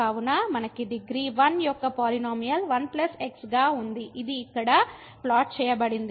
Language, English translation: Telugu, So, we have the polynomial of degree 1 as 1 plus which is plotted here